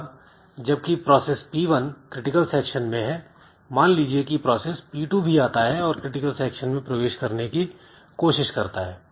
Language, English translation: Hindi, Now when this process p1 is in critical section suppose p2 also comes and it tries to enter into the critical section